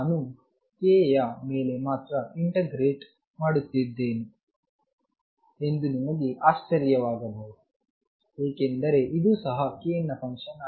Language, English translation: Kannada, You may wonder why I am integrating only over k, it is because omega is also a function of k